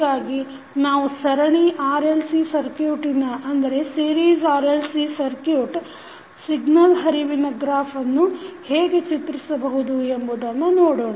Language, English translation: Kannada, So, let us see how we draw the signal flow graph of the series RLC circuit we just saw